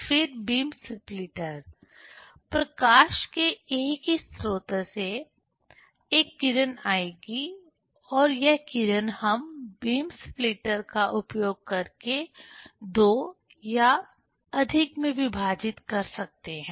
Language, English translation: Hindi, Then beam splitter: from same source of light we can, one ray will come and this ray we can split into two or more using the beam splitter